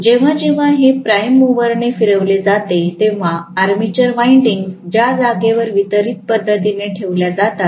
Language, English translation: Marathi, So, when that is rotated by the prime mover the armature windings which are placed in space distributed manner